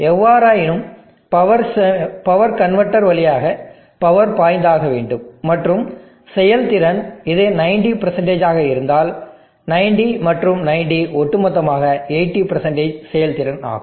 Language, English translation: Tamil, However, the power is to flow through to power convertors and efficiency is if this is 90% 90 and 90 totally overall 80% efficiency